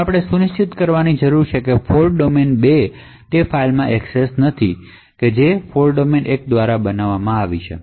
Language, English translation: Gujarati, Now we need to ensure that fault domain 2 does not have access to that particular file which has been created by fault domain 1